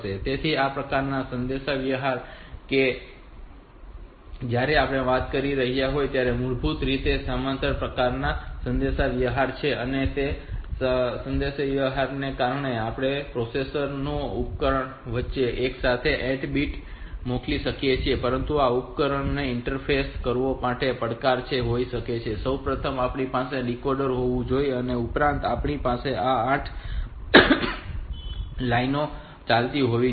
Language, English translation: Gujarati, So, this type of communication that we are talking about so they are they are basically the parallel type of communication they are parallel communication because we are sending 8 bits of data be simultaneously between the processor and the device, but the interfacing this devices the challenge that we have is first of all we have to have this decoder plus we have to have these 8 lines running so many lines need to run through the chip